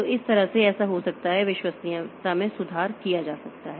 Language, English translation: Hindi, So, that way it can be, so the reliability can be improved